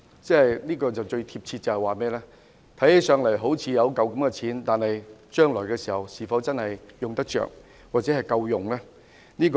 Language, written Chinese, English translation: Cantonese, "用來形容強積金便最貼切了，看起來好像有一筆錢，但將來是否用得到或足夠呢？, This is an apt description of MPF . There seems to be a sum of money but can it be used or is it enough for the future?